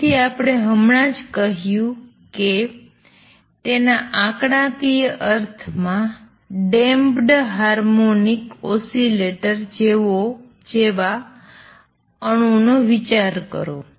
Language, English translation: Gujarati, So, what we have just said is that consider an atom like a damped harmonic oscillator in its statistical sense